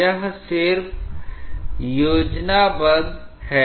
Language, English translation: Hindi, This is just a schematic